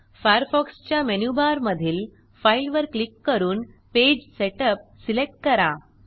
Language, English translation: Marathi, From the Firefox menu bar, click File and select Page Setup